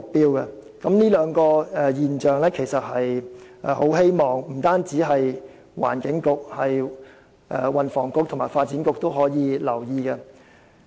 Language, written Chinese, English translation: Cantonese, 對於上述兩個現象，希望不僅是環境局，運輸及房屋局和發展局也可加以留意。, I hope not only the Environment Bureau but also the Transport and Housing Bureau as well as the Development Bureau will attach attention to the two points mentioned above